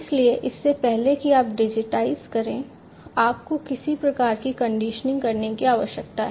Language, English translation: Hindi, So, before you digitize you need to do some kind of conditioning